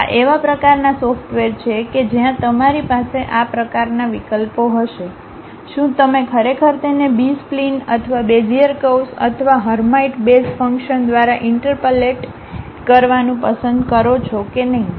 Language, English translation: Gujarati, These are kind of softwares where you will have these kind of options, uh like whether you would like to really interpolate it like through B splines or Bezier curves or Hermite basis functions and so on